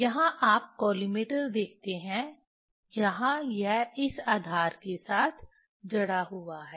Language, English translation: Hindi, Here you see the collimator, Vernier this is fixed with this base